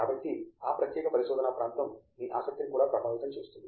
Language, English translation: Telugu, So, that may also influence your interest in a particular research area